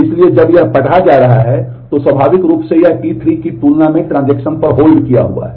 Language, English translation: Hindi, So, when this read is happening this is the so this is naturally this is at hold at transaction than T 3